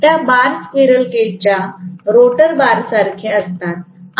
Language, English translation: Marathi, Those bars are very similar to the rotor bar of the squirrel cage